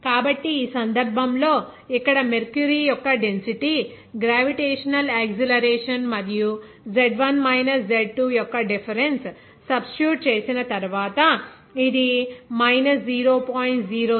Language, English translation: Telugu, So, that is why it is coming as here in this case, after substitution of the density of mercury, gravitational acceleration and difference of Z1 minus Z2, it will be minus 0